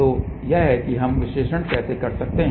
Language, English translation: Hindi, So, this is how we can do the analysis